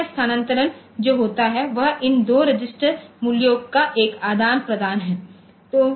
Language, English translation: Hindi, So, this transfer that takes place is an exchange of these two register values